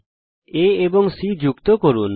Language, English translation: Bengali, Let us join A and C